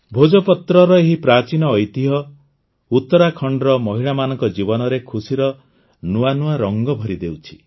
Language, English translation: Odia, This ancient heritage of Bhojpatra is filling new hues of happiness in the lives of the women of Uttarakhand